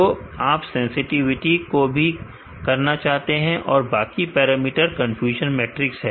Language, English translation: Hindi, So, you can also calculate the sensitivity other parameters from this confusion matrix